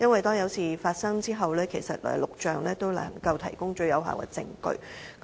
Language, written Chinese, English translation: Cantonese, 當有事發生的時候，錄像能夠提供最有力的證據。, In case of incidents video - recordings can serve as the strongest evidence